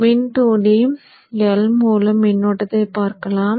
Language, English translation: Tamil, Let us look at the current through the inductor, IL